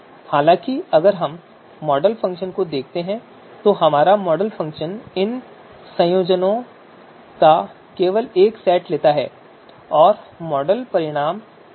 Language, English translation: Hindi, However, if we look at the model function, our model function takes you know just one set of these combinations and produces the model results